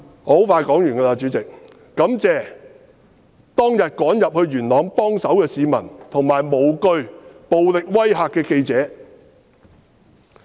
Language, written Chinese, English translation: Cantonese, 我感謝當天趕入元朗幫手的市民，以及無懼暴力威嚇的記者。, I am grateful to those who rushed to Yuen Long to lend a hand and also the reporters who had no fear of the violent threats